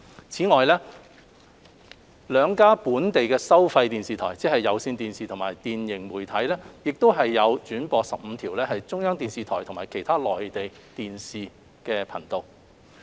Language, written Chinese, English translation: Cantonese, 此外，兩家本地收費電視台，即有線電視和電盈媒體，亦轉播15條中央電視台和其他內地電視頻道。, In addition two domestic pay TV broadcasters namely Hong Kong Cable Television Limited and PCCW Media Limited also relay 15 channels from CCTV and other Mainland TV channels